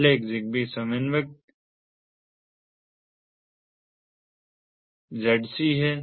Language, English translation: Hindi, the first one is the zigbee coordinator, the zc